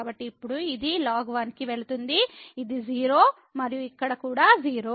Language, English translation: Telugu, So, now, this is go going to that is 0 and here also 0